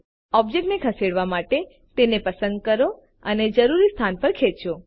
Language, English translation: Gujarati, To move an object, just select it and drag it to the desired location